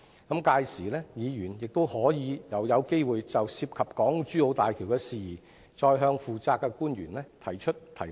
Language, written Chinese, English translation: Cantonese, 屆時議員又有機會就港珠澳大橋的事宜，再向負責的官員提問。, At that time Members will have another opportunity to ask the officials in charge about the issues relating to HZMB again